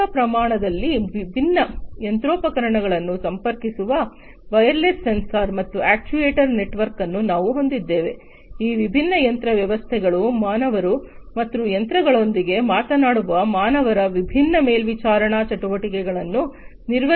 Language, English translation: Kannada, So, we have a wireless sensor and actuator network in the industry scale connecting different machinery, working in order to perform the different monitoring activities of these different machines systems, humans, humans talking to machines, and so on